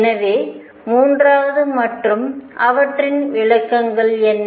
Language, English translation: Tamil, And so, does the third one and what are their interpretations